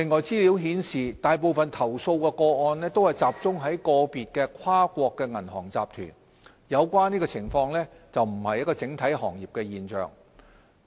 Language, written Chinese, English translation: Cantonese, 資料顯示，大部分投訴個案都集中在個別跨國銀行集團，有關情況並非整體行業的現象。, Information suggests that most of the complaint cases are related to individual international banking group and the relevant situation does not appear to be an industry - wide phenomenon